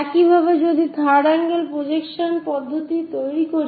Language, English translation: Bengali, Similarly, if we are making third angle projections